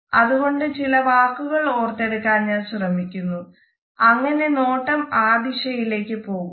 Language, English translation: Malayalam, So, I am trying to recollect certain words and then the gaze moves in this direction